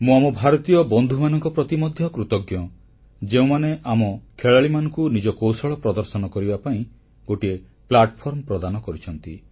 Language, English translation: Odia, I'm also thankful to our Indian friends who created a platform for our players to showcase their skills"